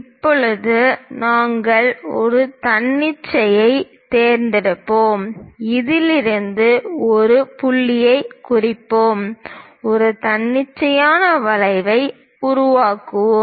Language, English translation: Tamil, Now, we are going to pick an arbitrary; let us mark a point from this, we are going to construct an arbitrary arc